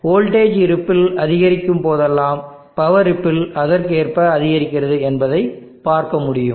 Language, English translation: Tamil, So whenever the voltage ripple increases the power ripple also correspondingly increases, as you can see